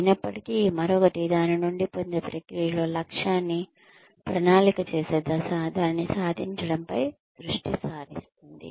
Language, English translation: Telugu, Yet, another focuses on, the process involved in getting from, the stage of planning the goal, to achieving it